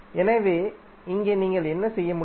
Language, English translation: Tamil, So here what you can do